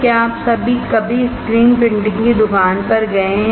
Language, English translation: Hindi, Have you ever gone to a screen printing shop